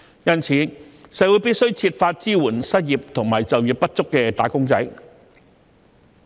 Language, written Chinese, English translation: Cantonese, 因此，社會必須設法支援失業及就業不足的"打工仔"。, As such society must identify ways to support the unemployed and underemployed wage earners